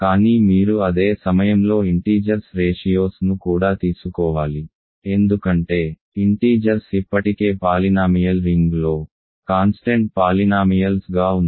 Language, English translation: Telugu, But you also have to at the same time take ratios of integers because integers are already inside the polynomial ring as constant polynomials